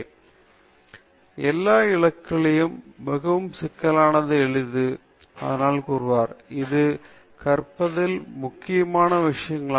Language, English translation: Tamil, So, he says the most complex of all goals is to simplify; that is also one of the important things in teaching